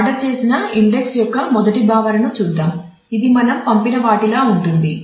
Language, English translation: Telugu, So, let us look at the first concept of ordered index which is pretty much like what we have just sent